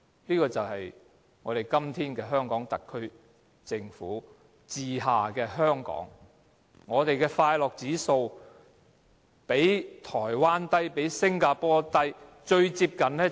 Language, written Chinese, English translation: Cantonese, 這就是我們今天在特區政府治下的香港，我們的快樂指數較台灣低，較新加坡低，最接近的便是內地。, This is the situation of Hong Kong under the governance of the incumbent Government of SAR today . The happiness index of the people of Hong Kong ranks lower than that of Taiwan and Singapore but close to the Mainland